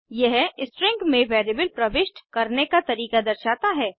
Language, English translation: Hindi, This shows a way of inserting a variable within a string